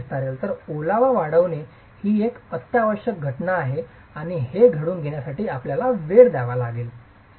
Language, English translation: Marathi, So, moisture expansion is an essential phenomenon and has to, you have to give time for this to occur